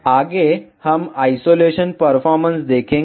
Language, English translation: Hindi, Next we will see the isolation performance